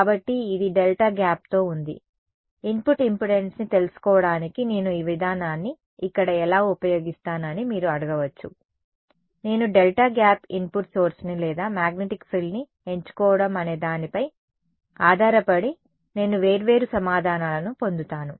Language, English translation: Telugu, So, this is with a delta gap right you may ask how do I if I use this procedure over here to find out the input impedance, I will get different answers I may get different answers depending on whether I choose the delta gap input source or magnetic frill because the linear algebra the matrix and the vectors are different, you may you will get different answers right